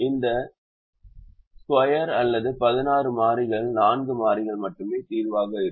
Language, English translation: Tamil, out of these square or sixteen variables, only four variables will be the solution